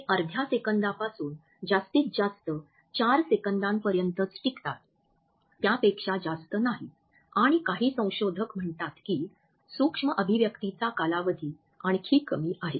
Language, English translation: Marathi, They last not more than half a second up to 4 seconds and some researchers say that the duration of micro expressions is even less